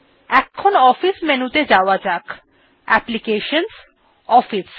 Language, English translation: Bengali, Now lets go to office menu i.e applications gtOffice